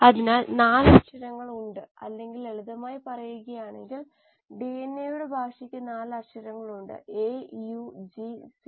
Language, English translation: Malayalam, So there are 4 letters or I mean in simpler words the language of DNA has 4 alphabets, A, U, G and C